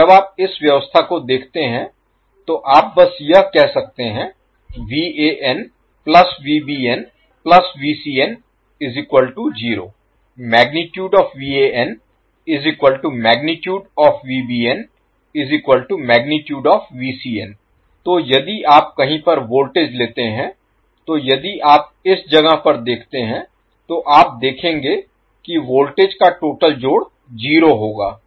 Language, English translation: Hindi, So, if you take voltage at any point say if you see at this point, you will see that the total sum of voltage will be 0